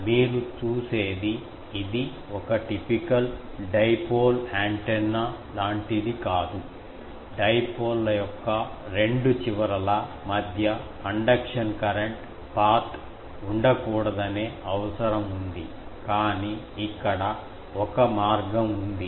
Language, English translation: Telugu, Because you see it is not like a typical dipole antenna that there was that requirement that there should not be any conduction current path between the two extremes of the dipoles ends but here, there is a path